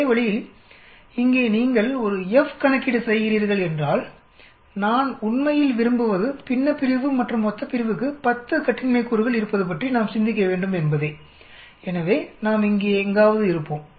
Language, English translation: Tamil, Same way here if you are doing an F calculation, I really wish we should think about 10 degrees of freedom for the numerator as well as the denominator, so we will be somewhere here